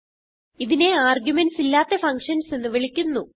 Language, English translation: Malayalam, This is called as functions without arguments